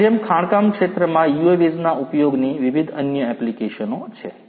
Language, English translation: Gujarati, Like this there are different other applications of use of UAVs in the mining sector